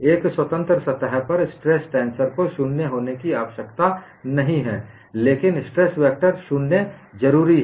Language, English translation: Hindi, On a free surface, stress tensor need not be 0, but stress vector is necessarily 0